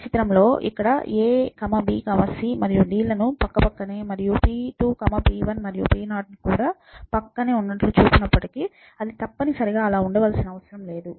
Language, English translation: Telugu, So, in this picture even though it shows a, b, c and d to be continuous and p2, p1, p0 also to be continuous, it does not necessarily have to be soon